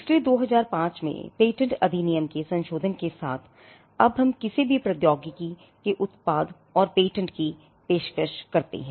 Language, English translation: Hindi, So, with the amendment of the patents act in 2005, we now offer product and process patents irrespective of the technology